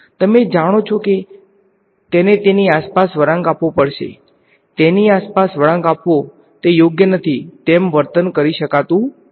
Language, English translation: Gujarati, You know it has to bend around it; twist around it cannot behave as though it is not there right